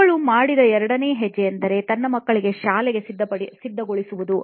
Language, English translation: Kannada, The second step that, she did was to get her kids ready for school as well